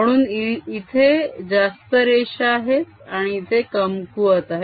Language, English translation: Marathi, so more lines come in and weaker here